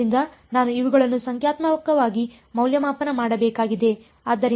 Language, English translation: Kannada, So, I need to evaluate these numerically